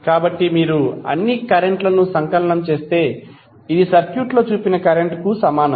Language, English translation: Telugu, So if you sum up all the currents, it will be equal to current shown in the circuit